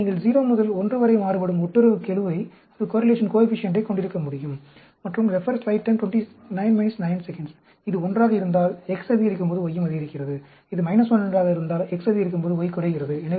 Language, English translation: Tamil, So, you can have correlation coefficient varying between 0 to 1, and if it is 1, as X increases, Y also increases; if it is 1, as X increases, Y decreases